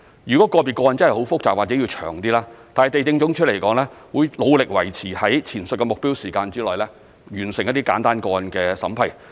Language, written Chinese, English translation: Cantonese, 如個別個案真的很複雜或需時長一點，地政總署都會努力維持在前述的目標時間內，完成一些簡單個案的審批。, If some particular cases are very complicated or take a longer time to process the Lands Department will try hard to meet the aforesaid time limit by completing the vetting of some simple cases